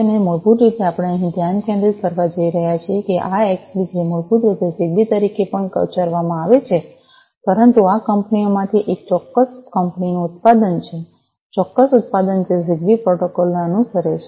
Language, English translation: Gujarati, And basically we are going to focus over here, this Xbee, which is basically also pronounced as ZigBee, but is a product from one of these companies a specific company, specific product which follows the ZigBee protocol